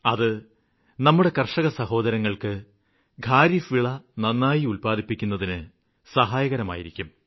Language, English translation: Malayalam, This will definitely prove beneficial to our farmer brothers and sisters in sowing of kharif crops